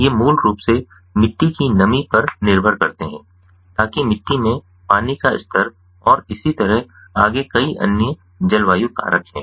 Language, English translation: Hindi, these, basically, are dependent on the soil, moisture, the water level in the soil and so on and so forth and many other climatic factors